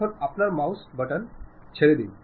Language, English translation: Bengali, Now, release your mouse button